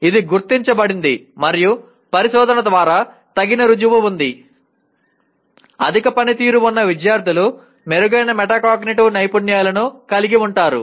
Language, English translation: Telugu, It is noted and there is adequate proof through research high performing students have better metacognitive skills